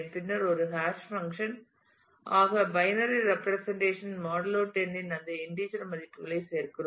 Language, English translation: Tamil, And then as a hash function we add these integer values of binary representations modulo 10